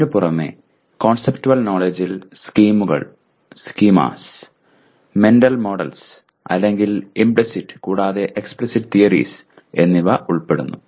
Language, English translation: Malayalam, On top of that conceptual knowledge includes schemas, mental models, or implicit and explicit theories